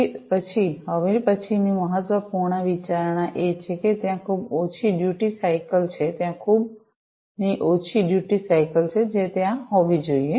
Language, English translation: Gujarati, Thereafter, the next important consideration is that there is very low duty cycle; there is very low duty cycle that should be there